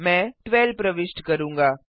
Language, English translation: Hindi, I will enter 25